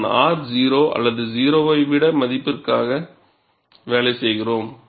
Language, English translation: Tamil, And we work on R 0 or R greater than 0